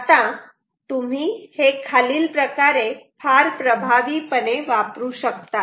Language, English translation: Marathi, now you can use this very effectively in the following way